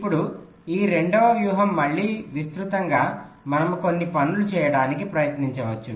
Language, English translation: Telugu, now this second strategy, again broadly, if you think we can try to do a couple of things